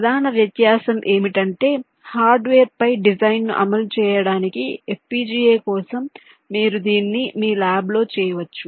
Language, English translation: Telugu, the main difference is that to implement a design on the hardware for fpga, ah, you can do it in your lab